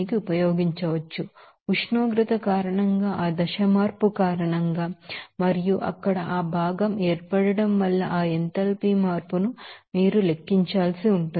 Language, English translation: Telugu, What you have to do that you have to calculate that enthalpy change because of the temperature, because of that phase change and also because of that formation of that component there